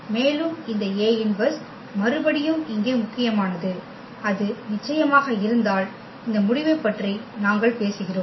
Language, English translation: Tamil, And this A inverse again important here that if it exists of course, then only we are talking about this result